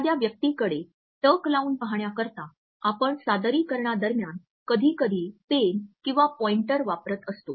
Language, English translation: Marathi, In order to control the gaze of a person you are interacting with sometimes a pen or a pointer may be used during the presentation